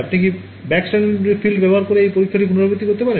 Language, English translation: Bengali, Can you repeat this experiment using backscattered field only